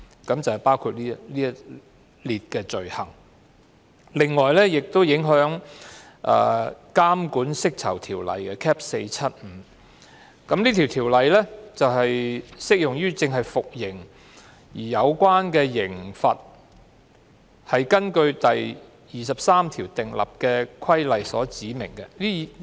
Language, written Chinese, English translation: Cantonese, 此外，有關修訂亦影響《監管釋囚條例》，這項條例只適用於服刑人士，即正在服刑而有關刑罰是根據第23條訂立的規例所指明的。, In addition the amendment will also affect the Post - Release Supervision of Prisoners Ordinance Cap . 475 . This Ordinance only applies to persons serving sentences namely persons serving a sentence specified in regulations made under section 23